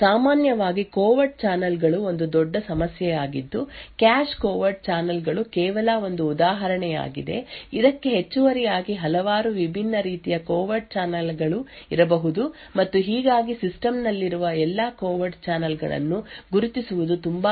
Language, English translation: Kannada, Covert channels in general are a big problem the cache covert channels are just one example in addition to this there could be several other different types of covert channels and thus identifying all the covert channels present in the system is quite a difficult task